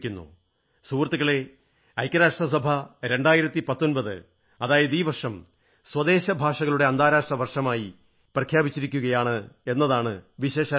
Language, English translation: Malayalam, Friends, another important thing to note is that the United Nations has declared 2019 as the "International Year of Indigenous Languages"